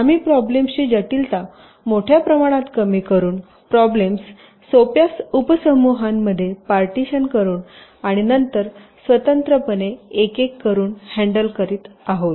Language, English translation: Marathi, we are reducing the complexity of the problem to a great extent by dividing or splitting the problem into simpler sub problems and then handling them just by one by one, independently